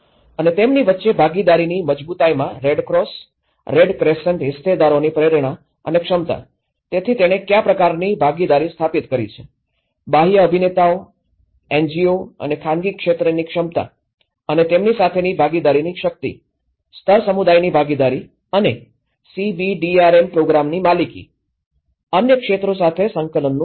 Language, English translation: Gujarati, And the motivation and capacity of the Red Cross Red Crescent stakeholders in the strength of partnerships between them, so what kind of partnerships it have established, the capacity of external actors, NGOs and private sector and the strength of the partnership with them, the level of community participation and ownership of CBDRM program, the level of integration with other sectors